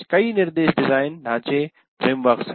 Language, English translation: Hindi, And there are several instruction design frameworks